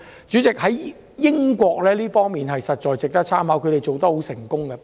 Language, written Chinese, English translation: Cantonese, 主席，英國在這方面的做法實在值得參考，他們做得十分成功。, President the United Kingdom the UK is very successful in this kind of operation and we should learn from it